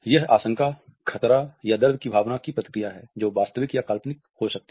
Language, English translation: Hindi, It is a response to a sense of thread danger or pain which may be either real or an imagined one